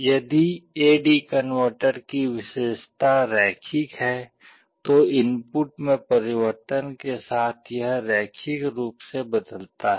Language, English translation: Hindi, If the characteristic of the A/D converter is linear then it changes linearly with changes in the input